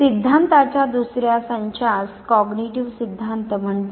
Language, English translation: Marathi, The second sets of theories are called cognitive theories